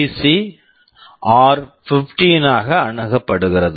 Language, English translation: Tamil, PC is accessed as r15